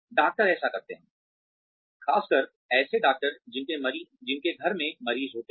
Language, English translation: Hindi, Doctors do this, especially the doctors who have patients in house